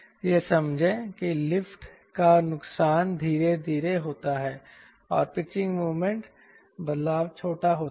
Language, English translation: Hindi, loss of lift is gradual and pitching moment changes is small changes